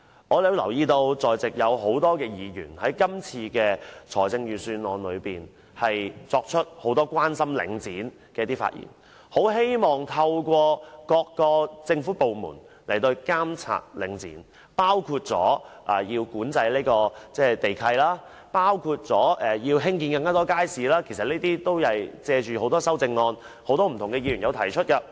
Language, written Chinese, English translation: Cantonese, 我發現多位在席的議員均在今年的預算案辯論中提出許多對領展的關注。他們希望各個政府部門能透過不同措施對領展進行監管，包括管制地契、興建更多街市等，其實有些議員正是藉修正案作出有關建議。, In the course of the Budget debate this year I observe that a number of Members have voiced various concerns about Link REIT and expressed hopes that Government departments could put Link REIT under supervision through various measures including by means of lease control and the building of more markets